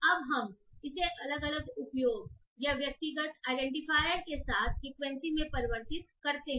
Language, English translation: Hindi, Now we convert it to the individual usage or the individual identifier along with its frequency